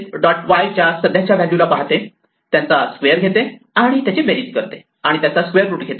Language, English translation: Marathi, So, when we do this, it will look at the current value of self dot x, the current value of self dot y, square them, add them and take the square root